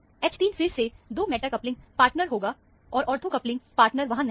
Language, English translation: Hindi, H 3 will be a, again, a 2 meta coupling partner, and 1, no ortho coupling partner is there